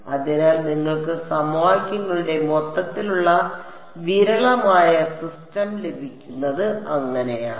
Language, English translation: Malayalam, So, that is how you get a overall sparse system of the equations